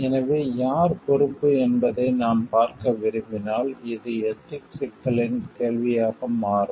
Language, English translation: Tamil, So, when we want to see like who is responsible, then this becomes questions of ethical issues